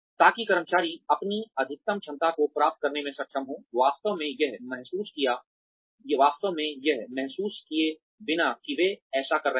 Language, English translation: Hindi, And, so that, employees are able to achieve their maximum potential, without really realizing that, they are doing it